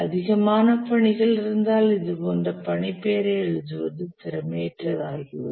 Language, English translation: Tamil, If there are too many tasks, it becomes unwieldy to write the task name like this